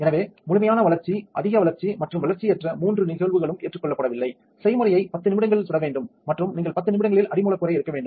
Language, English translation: Tamil, So, this all three cases in complete development, over development and underdevelopment is not accepted, the recipe should bake for 10 minutes and you should just take out the substrate in 10 minutes